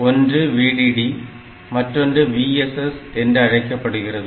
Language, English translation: Tamil, So, difference between VDD and VSS